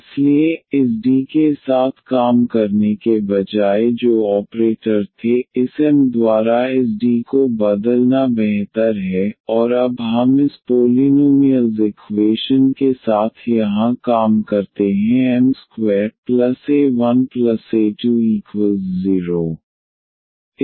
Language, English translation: Hindi, So, instead of working with this D which were operator is better to replace this D by this m and now let us work with this polynomial equation here m square plus a 1 m plus a 2 is equal to 0